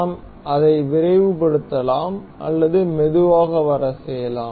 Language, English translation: Tamil, We can speed it up or we can slow play it